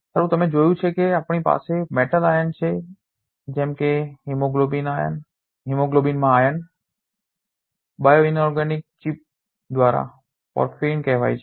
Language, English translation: Gujarati, Well as you have seen we have metal ion such as iron in hemoglobin supported by a bioinorganic chip called porphyrin